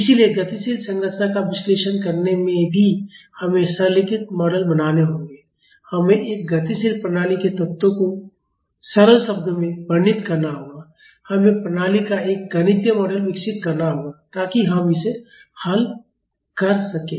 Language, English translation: Hindi, So, even in analyzing the dynamic structure we have to make simplified models, we have to describe the elements of a dynamic system in simplified terms and we have to develop a mathematical model of the system, so that we can solve it